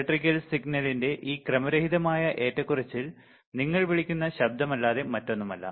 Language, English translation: Malayalam, And this random fluctuation of the electrical signal is nothing but your called noise all right